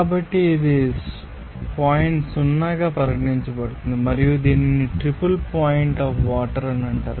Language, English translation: Telugu, So, it will be regarded as point O and it is called triple point of water